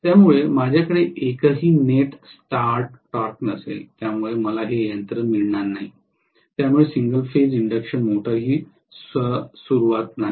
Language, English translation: Marathi, So I will not have any net starting torque because of which I will not have this machine so single phase induction motor is inherently not self starting